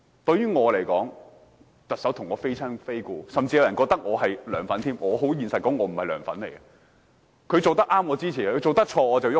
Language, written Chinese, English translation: Cantonese, 對我來說，梁振英與我非親非故，甚至有人認為我是"梁粉"，我很坦白說我不是"梁粉"，他做得對，我支持，他做得錯，我便反對。, To me LEUNG Chun - ying is neither my relative nor my friend . Although some people consider me a LEUNGs fan I honestly say I am not . If he has done something right I will support; if he has done something wrong I will oppose